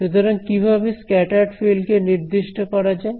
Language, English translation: Bengali, So, what is the scattered field defined as